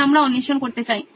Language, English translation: Bengali, So we would like to explore